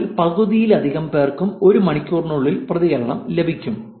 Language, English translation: Malayalam, More than half of them get a response within one hour